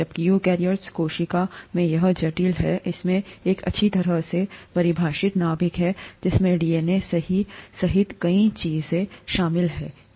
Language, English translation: Hindi, Whereas in the eukaryotic cell, it's complex, it has a well defined nucleus that contains many things including DNA, right